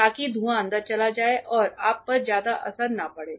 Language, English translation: Hindi, So, that the fumes get sucked in and you are not affected much